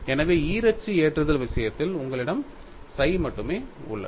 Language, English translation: Tamil, So, in the case of bi axial loading, you have only psi is available